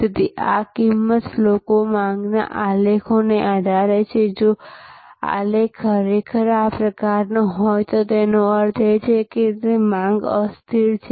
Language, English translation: Gujarati, So, depending on this price verses demand graph, if this graph is actually of this shape this is means that it is the demand is inelastic